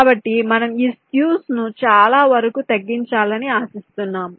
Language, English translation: Telugu, so we are expecting to reduce this cube to a great extent